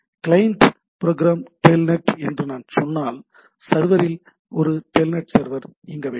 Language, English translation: Tamil, So, if I say that the client program is telnet, the at the server there is a telnet server should be running